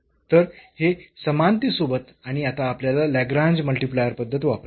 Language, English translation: Marathi, So, this with equality and now we have to use the method of Lagrange multiplier